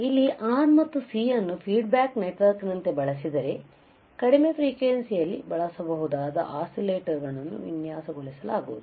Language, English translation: Kannada, So, using this if we use R and C as a feedback network right then we can design oscillators which can be used at lower frequency